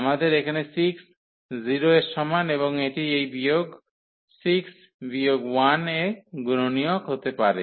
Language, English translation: Bengali, And then we have here 6 is equal to 0 and that can factorize to this minus 6 minus 1